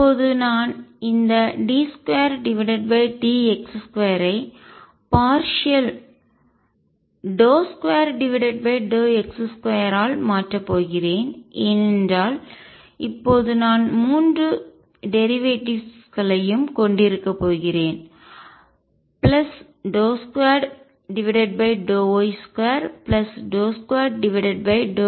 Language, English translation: Tamil, Now I am going to change this d 2 by d x by partial del to by del x square because now I am going to have all 3 derivatives plus del to by dell y square plus del 2 by del z square